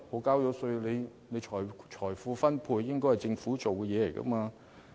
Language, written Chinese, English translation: Cantonese, 既然我們已繳稅，財富分配本應由政府負責。, Given that we have paid tax the Government is supposed to be responsible for wealth redistribution